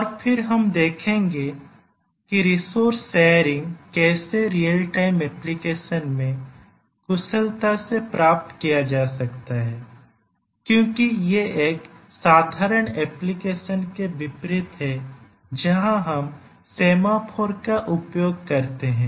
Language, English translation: Hindi, And then we will see that how can resource sharing be efficiently achieved in a real time application because we will see that its contrast to an ordinary application where we use semaphores